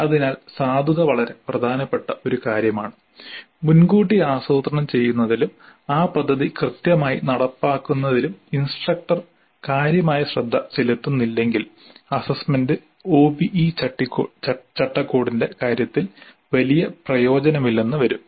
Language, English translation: Malayalam, So the validity is an extremely important aspect and unless the instructor exercises considerable care in advance planning and execution of that plan properly, the assessment may prove to be of not much use in terms of the OBE framework